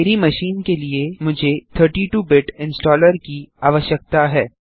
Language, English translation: Hindi, For my machine, I need 32 Bit installer